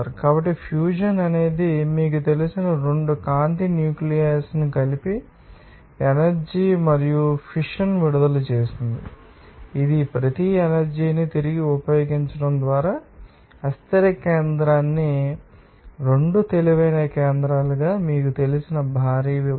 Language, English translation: Telugu, So, fusion is the process where 2 light you know nuclei that combines together releasing past the amount of energy and fission, this is a splitting of heavy you know unstable nucleus into 2 lighter nuclei by reusing each energy